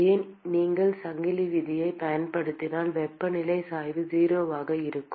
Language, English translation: Tamil, why if you use the chain rule the temperature gradient will be 0